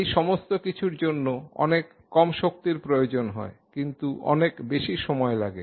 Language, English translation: Bengali, All of these things require a much lower energy take a much longer amount of time